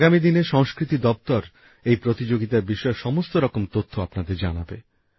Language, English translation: Bengali, In the coming days, the Ministry of Culture will provide all the information related to these events